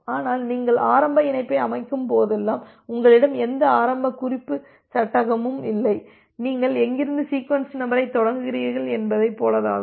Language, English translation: Tamil, But, whenever you are setting up the initial connection during that time you do not have any initial reference frame, like from where you will start the sequence number